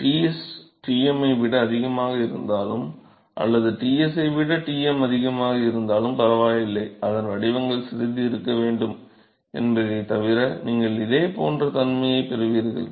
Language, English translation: Tamil, Whatever it does not matter whether Ts is higher than Tm or Tm is higher than Ts, you will have exactly a similar behavior except that the profiles have going to be slightly